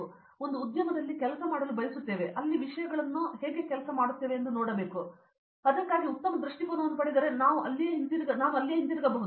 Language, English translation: Kannada, So, I would like to work in one industry and see how the things work out there and if I get a good perspective on that then I may stay back over there